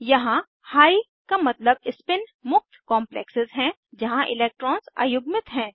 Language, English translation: Hindi, Here High means spin free complexes where electrons are unpaired